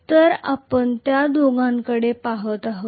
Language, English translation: Marathi, So we will be looking at both of them